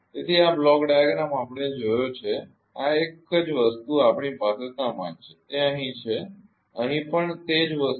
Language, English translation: Gujarati, So, this this block diagram we have seen know this one same thing we have same thing it is here only here also same thing here also